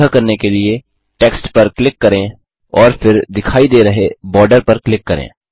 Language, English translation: Hindi, To do this, click on the text and then click on the border which appears